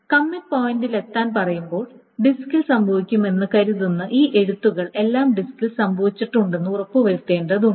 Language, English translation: Malayalam, So when it says to reach the commit point, it has to be made sure that all of these rights which are supposed to take place on the disk has taken place on the disk